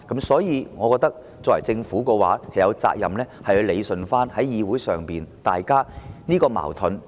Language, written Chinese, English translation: Cantonese, 所以，我認為政府有責任理順議會上大家的矛盾。, Therefore I consider that the Government has the responsibility to straighten out the contradictions in this Council